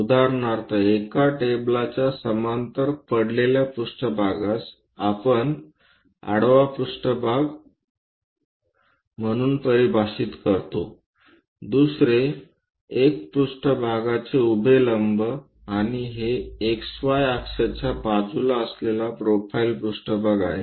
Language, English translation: Marathi, For example, we define a plane as horizontal plane which is lying parallel to the table, other one is vertical plane perpendicular to the plane and a profile plane which is on the side of this X Y axis